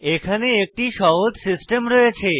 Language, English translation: Bengali, We have a very simple system here